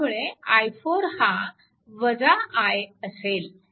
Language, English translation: Marathi, And i 3 is equal to 1